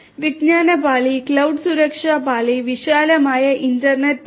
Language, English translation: Malayalam, The knowledge layer, the cloud security layer, and the wider internet layer